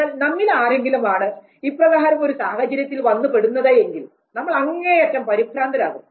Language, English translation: Malayalam, Whereas, most of us if we are put in this very situation we would be extremely scared